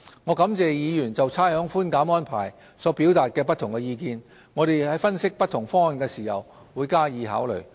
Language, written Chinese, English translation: Cantonese, 我感謝議員就差餉寬減安排所表達的不同意見，我們在分析不同方案時會加以考慮。, I would like to thank Members for their different views on the rates concession arrangement and we will consider their views when analysing different proposals